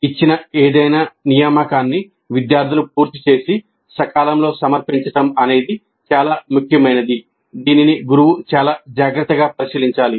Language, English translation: Telugu, Any assignment given must be completed by the students and submitted in time and equally important it must be evaluated by the teacher very carefully